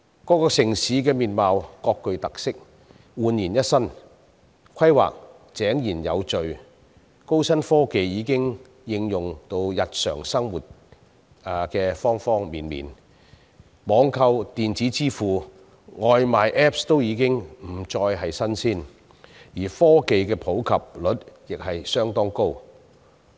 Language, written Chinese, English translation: Cantonese, 各個城市的面貌各具特色，煥然一新，規劃井然有序，高新科技已經應用於日常生活的各個方面，網購、電子支付、外賣 apps 均已不再是新鮮事物，而科技的普及率亦相當高。, Each city has its own characteristics with an entirely new look under orderly planning . Advanced technology has already been applied in every aspect of peoples daily life . Online shopping electronic payment mobile applications for placing takeaway orders are nothing new as the technology penetration rate is rather high